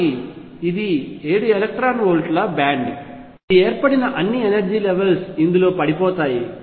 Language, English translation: Telugu, So, this is a band of seven electron volts which is formed all the energy levels that were there are going to fall in this